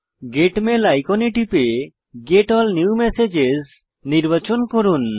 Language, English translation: Bengali, Click the Get Mail icon and select Get All New Messages